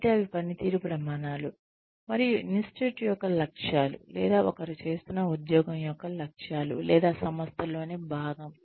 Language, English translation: Telugu, So, those are the performance standards, and the goals of the institute, or goals of the job, that one is doing, or the organization, that one is a part of